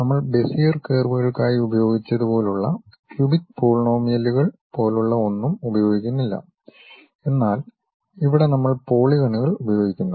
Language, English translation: Malayalam, And we do not use anything like cubic polynomials, like what we have used for Bezier curves, but here we use polygons